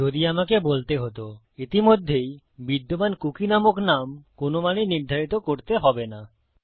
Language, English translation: Bengali, So if I were to say set a cookie that already exists called name, to no value at all